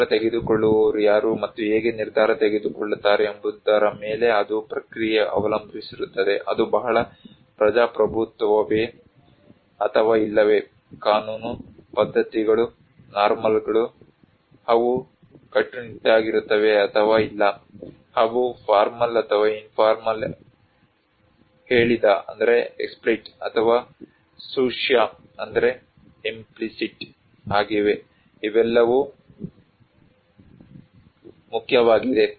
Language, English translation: Kannada, The process it depends on who are the decision makers and how the decision, is it very democratic or not, law, customs, norms, they are strict or not, they are formal or informal, explicit or implicit, these all matter